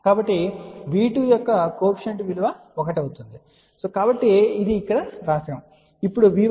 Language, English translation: Telugu, So, the coefficient of V 2 will be 1, so it is write here